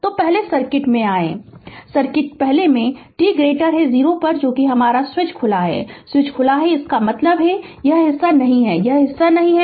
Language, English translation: Hindi, So, come to the circuit first right the circuit first at t greater than 0 the switch is open the switch is open means this part is not there this is part is not there right